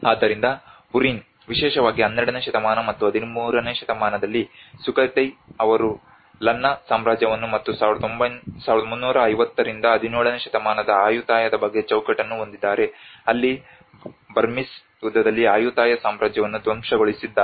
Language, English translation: Kannada, So Burin also works out the kind of timeline especially in 12th century or 13th century where the Sukhothai has frames the Lanna Kingdom and about Ayutthaya which is the 1350 to almost 17th century where the Burmese have devastated the Ayutthaya Kingdom in the war